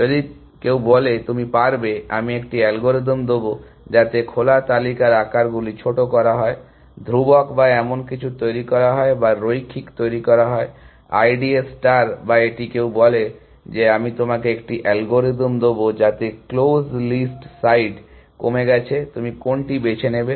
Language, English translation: Bengali, If somebody says that you can, I will give an algorithm in which, the open list sizes is minimize, made constant or something like that or made linear like, I D A star or it somebody says that, I will give you an algorithm, in which the close list side is